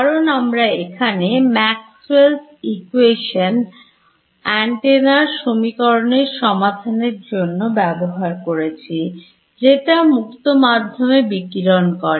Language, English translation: Bengali, Because I am trying to solve Maxwell’s equation for an antenna usually radiating in free space